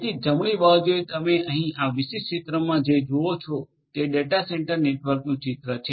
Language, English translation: Gujarati, So, on the right hand side what you see over here in this particular picture is and is a picture of a data centre network right